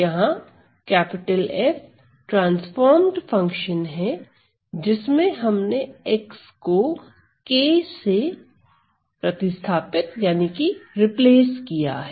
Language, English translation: Hindi, This capital F is the transform function with the variable x replaced by k replace with x